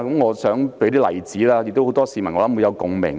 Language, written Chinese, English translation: Cantonese, 我想舉一些例子，相信很多市民會有共鳴。, I believe the following examples will strike a chord with many people